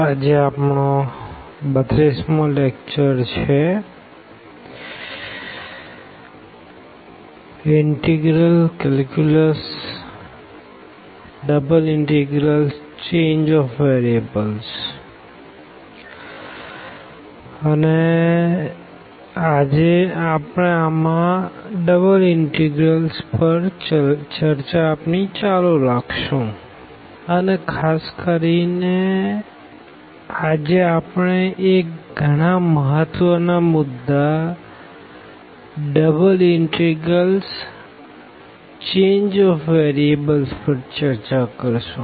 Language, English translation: Gujarati, And this is lecture number 32 and we will continue discussion on the double integrals and in particular today we will discuss an very very important topic that is Change of Variables in Double Integrals